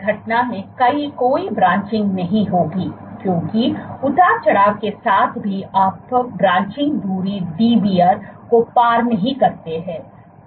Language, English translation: Hindi, So, in this event there will be no branching, because even with fluctuation you do not surpass the branching distance Dbr